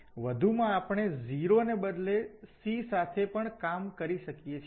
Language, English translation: Gujarati, So, for more general setting we can instead of 0 we can also work with C